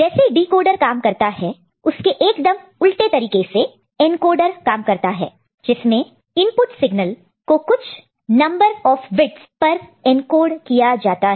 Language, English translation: Hindi, And we also so encoder, encoder is reverse of you know decoding operation where input signal is encoded in certain number of you know, a bits